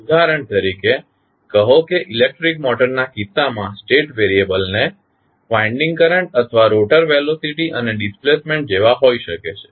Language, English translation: Gujarati, Say for example in case of electric motor, state variables can be like winding current or rotor velocity and displacement